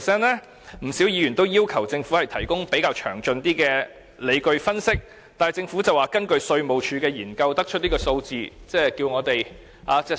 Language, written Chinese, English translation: Cantonese, 因此，不少議員要求政府提供較詳盡的理據分析，但政府指這是根據稅務局的研究所得的數字，並要求我們相信。, In this connection many Members have requested the Government to provide a more detailed analysis . However in response the Government said that the data was obtained from the findings of the Inland Revenue Department IRD and thus asked us to render trust